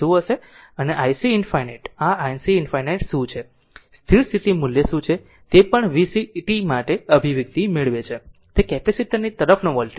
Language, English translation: Gujarati, And i c infinity what is the this i c infinity, what is the steady state value also derive expression for v c t, that is the voltage across the capacitor